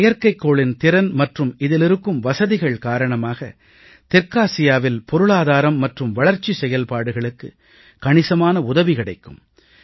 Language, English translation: Tamil, The capacities of this satellite and the facilities it provides will go a long way in addressing South Asia's economic and developmental priorities